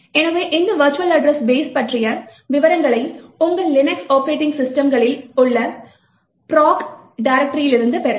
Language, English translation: Tamil, So, details about this virtual address base can be obtained from the proc directory present in your Linux operating systems